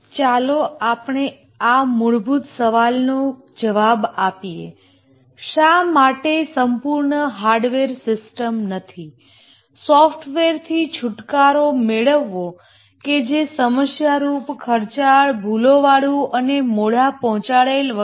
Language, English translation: Gujarati, Let's answer this very basic question that why not have an entirely hardware system, get rid of software, it's problematic, expensive, lot of bugs, delivered late, and so on